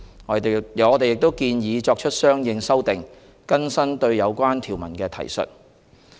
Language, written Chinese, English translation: Cantonese, 我們亦建議作出相應修訂，更新對有關條文的提述。, Consequential amendments are also proposed to be made to update the references to the relevant provisions